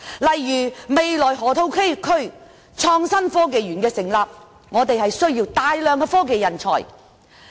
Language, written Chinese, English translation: Cantonese, 例如，落馬洲河套地區未來成立港深創新及科技園，需要大量科技人才。, For example the future Hong Kong - Shenzhen Innovation and Technology Park in the Lok Ma Chau Loop will generate substantial demand for talents in the technology sector